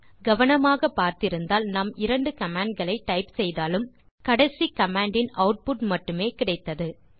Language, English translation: Tamil, If you observed carefully, we typed two commands but the output of only last command was displayed